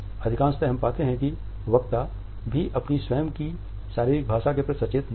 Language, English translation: Hindi, Most of the times we find that a speakers are not even conscious of their own body language